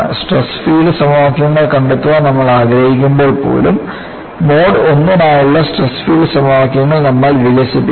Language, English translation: Malayalam, And even, when we want to find out the stress field equations, we would develop the stress field equations for mode I